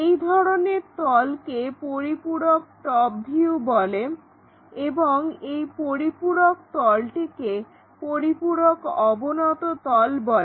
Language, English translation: Bengali, And, that kind of plane is called auxiliary top view and the auxiliary plane is called auxiliary inclined plane